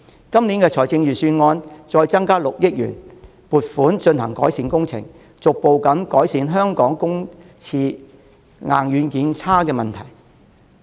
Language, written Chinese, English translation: Cantonese, 今年財政預算案再撥出6億元進行翻新工程，務求逐步改善香港公廁硬、軟件差的問題。, It was followed by a provision of 600 million made in this years Budget for refurbishing works with a view to gradually improving the inferior hardware and software of the public toilets in Hong Kong